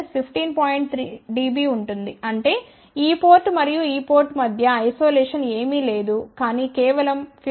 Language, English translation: Telugu, 3 dB so; that means, the isolation between this port and this port is nothing, but just 15